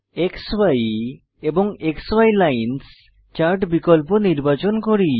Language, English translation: Bengali, Let us choose XY and XY Lines chart option